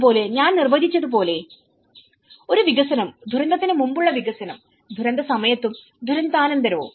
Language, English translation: Malayalam, Similarly, as I defined to as a development, the pre disaster development, during disaster and the post disaster